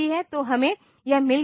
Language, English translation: Hindi, So, we have got this